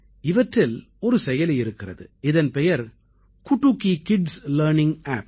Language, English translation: Tamil, Among these there is an App 'Kutuki Kids Learning app